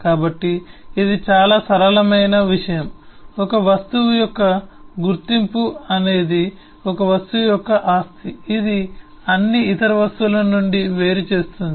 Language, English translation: Telugu, so that’s the simple thing, the identity of an object is a, that property of an object which distinguishes it from all other objects